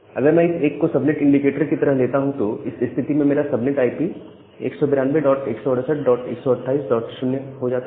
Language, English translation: Hindi, So, if I take this 1 as the subnet indicator, so in that case my subnet IP comes to be 192 dot 168 dot 128 dot 0, so 1 followed by all 0s